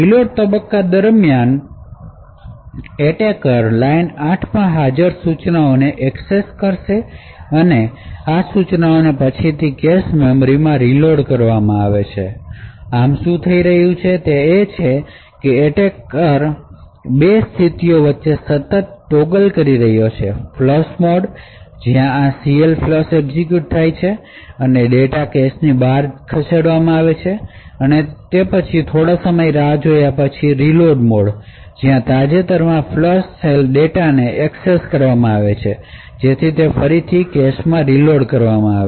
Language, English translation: Gujarati, During the reload phase, the attacker would access the instructions present in line 8 and therefore, these instructions would then be reloaded into the cache memory thus what is happening is that the attacker is constantly toggling between 2 modes; flush mode where this CLFLUSH gets executed and data is moved out of the cache, then there is a wait for some time